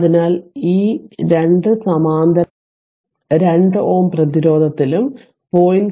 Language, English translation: Malayalam, So, this 2 are in parallel 2 ohm resistance and 0